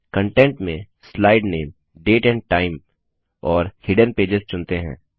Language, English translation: Hindi, Under Contents, lets select Slide name, Date and time and Hidden pages